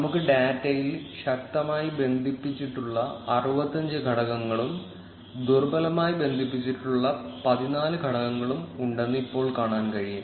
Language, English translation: Malayalam, We can see that we have 65 strongly connected components; and 14 weakly connected components in a data